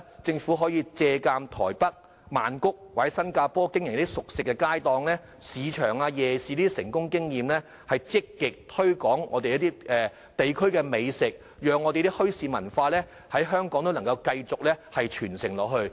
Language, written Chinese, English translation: Cantonese, 政府可以借鑒台北、曼谷或新加坡經營熟食街檔、市場或夜市等成功經驗，積極推廣本地美食，讓墟市文化在香港繼續傳承下去。, The Government can learn from the successful experience of the operation of cooked food stalls bazaars or night bazaars in Taipei Bangkok or Singapore and actively promote local cuisines so that the bazaar culture will continue to be passed down in Hong Kong